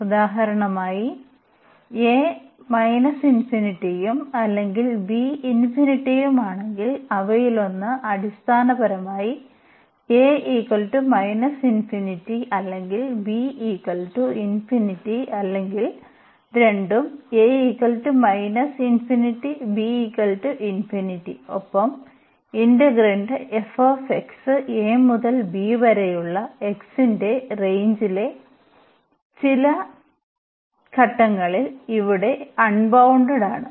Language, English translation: Malayalam, If this a is for example, minus infinity and or b is plus infinity so, one of them is basically infinity that a is minus infinity or b is plus infinity or both, a is minus infinity and b is infinity and this f x the integrand here is unbounded at some point in the range of this x from a to b